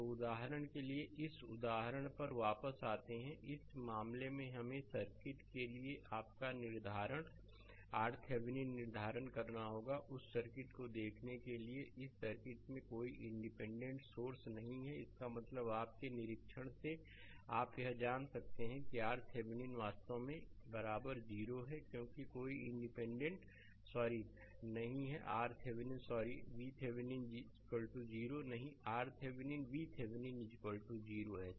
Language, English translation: Hindi, So, come back to this example for example, in this case we have to determine your determine R R Thevenin right for this circuit, for look at that circuit there is no independent source in this circuit; that means, from your inspection you can make it that R Thevenin actually is equal to 0, because there is no independent sorry not R Thevenin sorry V Thevenin is equal to 0 right not R Thevenin V Thevenin is equal to 0 right